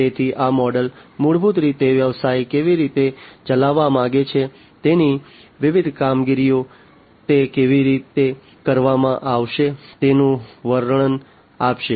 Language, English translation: Gujarati, So, these models basically will give the description of how the business wants to operate, its different operations, how it is how they are going to be performed